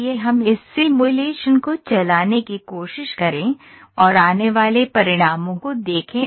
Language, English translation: Hindi, So, let us try to run this simulation and see what are the results those are coming